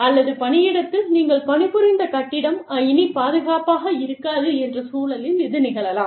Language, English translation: Tamil, Or, the workplace, the building, that you worked in, is no longer safe